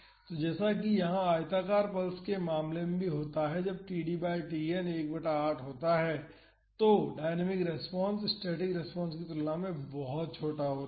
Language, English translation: Hindi, So, as in the case of rectangular pulse here also when td by Tn is 1 by 8 the dynamic response is much smaller compare to the static response